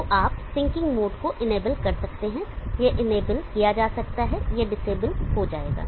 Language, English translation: Hindi, So you can enable the sinking mode this can be enable this can be disable